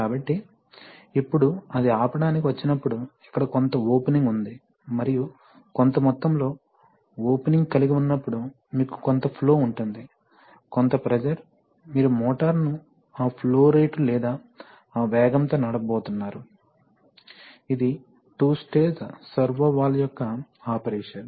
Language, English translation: Telugu, So, it is at that position that, now when it comes to stop then there is a certain amount of opening here and depending on that, the, so when you have a certain amount of opening, you have a certain amount of flow, of certain amount of pressure, or so you are, so you’re going to drive the motor at that flow rate or that speed, so this is the operation of the two stage servo valve